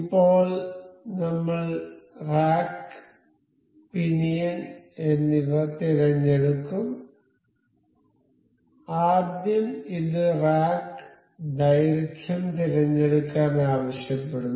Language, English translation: Malayalam, Now, I will select rack and pinion so, first this asks for this to select the rack length